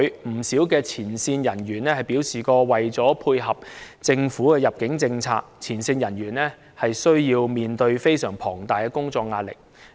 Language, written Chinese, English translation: Cantonese, 不少入境處的前線人員曾表示，為了配合政府的入境政策，他們需要面對相當龐大的工作壓力。, A number of front - line staff ImmD officers have stated that in order to tie in with the Governments admission policies they need to cope with enormous pressure at work